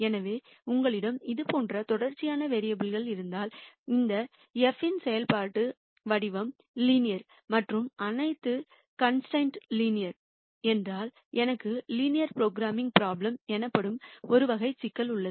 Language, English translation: Tamil, So, if you have continuous variables like this, and if the functional form of this f is linear and all the constraints are also linear then I have a type of problem called linear programming problem